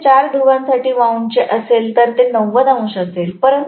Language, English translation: Marathi, If it is wound for four poles, it will be 90 degrees